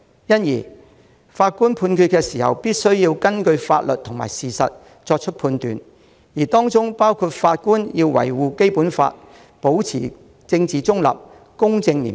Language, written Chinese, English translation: Cantonese, 因此，法官必須根據法律及事實作出判決，法官也要維護《基本法》，保持政治中立，公正廉潔。, Therefore judges must make judgments based on the law and the facts and they must also defend the Basic Law maintain political neutrality honesty and integrity